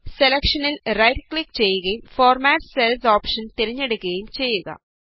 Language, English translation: Malayalam, Now do a right click on cell and then click on the Format Cells option